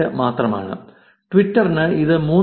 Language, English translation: Malayalam, 78, for twitter is it is 3